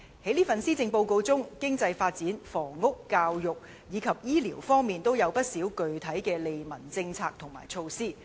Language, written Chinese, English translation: Cantonese, 今年的施政報告就經濟發展、房屋、教育及醫療等各方面，提出了不少具體的利民政策和措施。, The Policy Address this year proposes many specific policies and measures of benefit to the people with regard to economic development housing education and health care services